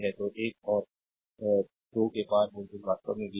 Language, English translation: Hindi, So, voltage across one and 2 is v actually